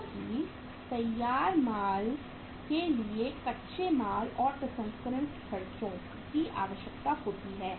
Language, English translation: Hindi, Because finished goods requires raw material plus the processing expenses